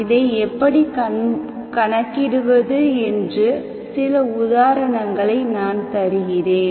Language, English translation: Tamil, So I will give you some examples how do we calculate this